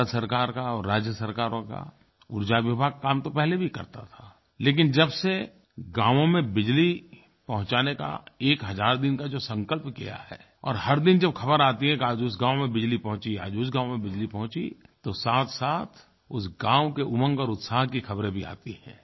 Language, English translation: Hindi, The power department of the state and Indian government were functional earlier as well but from the day 1000 day target to provide electricity to every village has been set, we get news everyday that power supply is available in some or the other village and the happiness of the inhabitants' knows no bounds